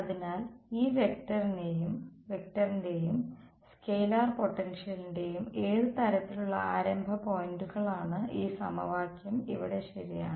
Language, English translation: Malayalam, So, what sort of the starting points of this vector and scalar potentials is this equation over here ok